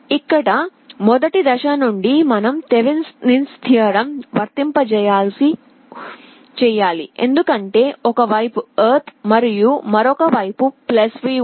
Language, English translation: Telugu, Here from the first step itself you have to apply Thevenin’s theorem because there is ground on one side and +V on other side